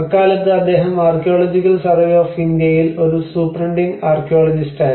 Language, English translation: Malayalam, That time he was a superintending archaeologist in the Archaeological Survey of India